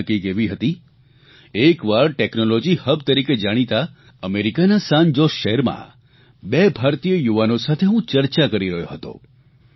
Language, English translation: Gujarati, It so happened that once I was interacting with Indian youth in San Jose town of America hailed as a Technology Hub